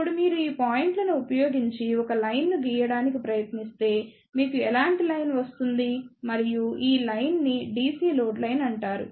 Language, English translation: Telugu, Now, if you try to draw a line using these points, you will get a line like this and this line is known as the DC load line